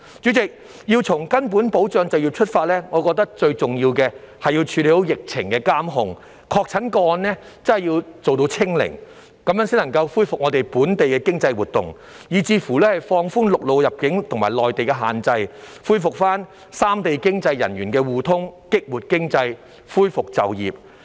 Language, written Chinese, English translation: Cantonese, 主席，要從根本保障就業出發，我認為最重要的是要處理好疫情監控，確診個案做到"清零"，這樣才能恢復本地的經濟活動，以至放寬陸路入境和內地限制，恢復三地經濟人員互通，激活經濟，恢復就業。, President if we have to start with fundamentally preserving employment I find it most important to monitor and control the epidemic situation properly and achieve zero infection . Only in this way can the local economic activities be resumed and both the restrictions on land arrival and the Mainlands restrictions be relaxed to enable resumption of the flow of economic personnel among the three places which will in turn stimulate the economy and restore employment